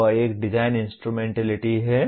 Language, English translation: Hindi, That is a design instrumentality